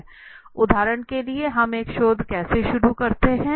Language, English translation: Hindi, For example let me take you back, how do we start a research